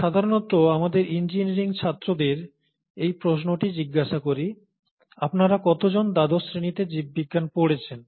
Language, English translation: Bengali, I usually ask this question to our students, our engineering students, “How many of you have done biology in twelfth standard